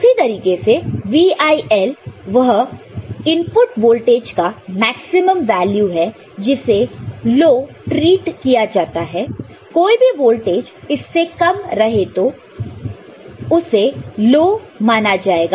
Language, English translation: Hindi, Similarly VIL input maximum value of the input voltage which is treated as low, any voltage less than that will be treated as low